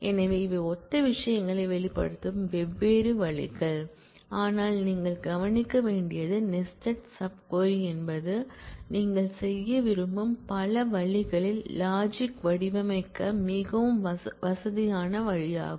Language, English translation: Tamil, So, these are just different ways of expressing similar things, but what you should note is the nested sub query is a very convenient way to frame up the logic in multiple different ways that you would like to do